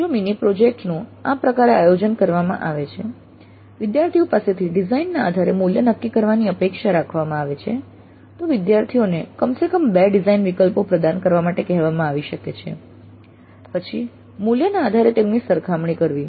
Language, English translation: Gujarati, If the way the mini project is organized, students are expected to work out the cost based on the design, then the students may be asked to provide at least two design alternatives, then compare them based on the cost